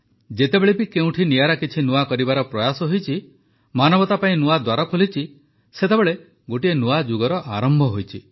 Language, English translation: Odia, Whenever effort to do something new, different from the rut, has been made, new doors have opened for humankind, a new era has begun